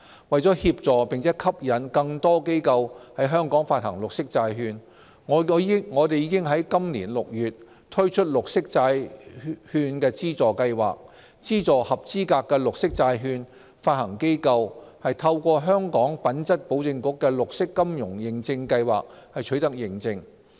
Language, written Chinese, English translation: Cantonese, 為協助並吸引更多機構於香港發行綠色債券，我們已在本年6月推出綠色債券資助計劃，資助合資格的綠色債券發行機構透過香港品質保證局的綠色金融認證計劃取得認證。, To assist and attract corporates to issue green bonds in Hong Kong a Green Bond Grant Scheme was launched this June to subsidize qualified green bond issuers in obtaining green bond certification under the Green Finance Certification Scheme established by HKQAA